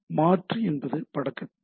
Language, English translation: Tamil, So, alternate is the description of the image